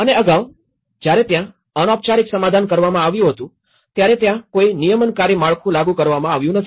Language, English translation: Gujarati, And earlier, when there was an informal settlement okay, there is no regulatory framework has been enforced on that